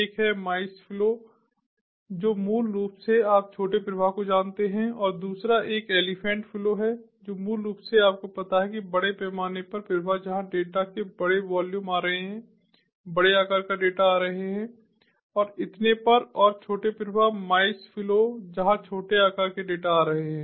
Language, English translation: Hindi, one is the mice flow, which are basically basically, you know, small, small flows, and the other one is the elephant flow, which is basically, you know, large scale flows where big volumes of data are coming, big sized data are coming, and so on, and small flows, mice flows, where small sized data are coming